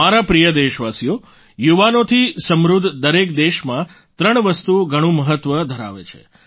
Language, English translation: Gujarati, My dear countrymen, in every country with a large youth population, three aspects matter a lot